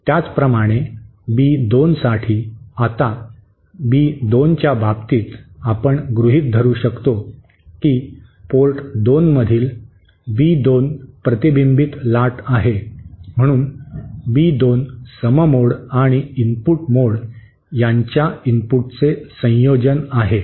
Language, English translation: Marathi, Similarly for B2, now in the case of B2, we can assume that B2 is the reflected wave at port 2, so B2 is the combination of the input of the even mode and the odd mode